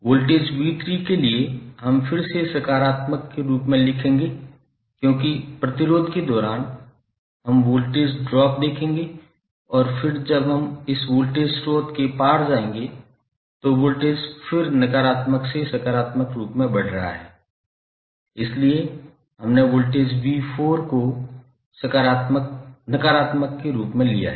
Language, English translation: Hindi, For voltage v¬3¬ we will again write as positive because the, across the resistance we will see the voltage drop and then again when we go across this voltage source, the voltage is again rising form negative to positive so we have taken voltage as negative of v¬4¬